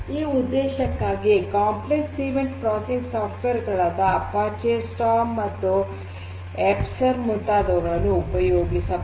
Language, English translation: Kannada, So, complex event processing software such as Apache Storm, Esper etc